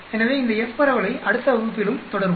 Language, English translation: Tamil, So, we will continue on this F distribution further in the next class also